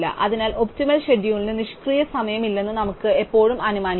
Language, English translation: Malayalam, Therefore, we can always assume that optimum schedule has no idle time